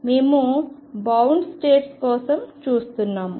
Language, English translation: Telugu, We are looking for bound states